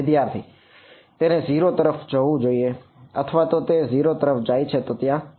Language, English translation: Gujarati, It should go to 0 or well if it goes to 0 there is a problem